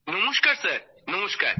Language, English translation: Bengali, Namaste Sir Namaste